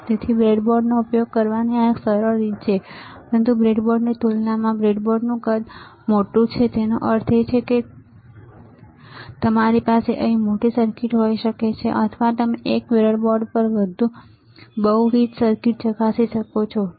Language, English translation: Gujarati, So, it is a easier way of using a breadboard, but this is a bigger size of the breadboard compared to this breadboard; that means, that you can have bigger circuit here, or you can test multiple circuits on the single breadboard, right